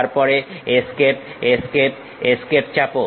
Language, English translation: Bengali, Then press Escape Escape Escape